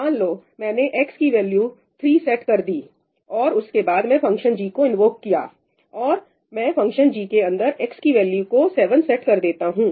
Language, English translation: Hindi, So, let us say I have set the value of x to 3 and then I have invoked g of x; and now inside the function g, what I do is, I set x equal to 7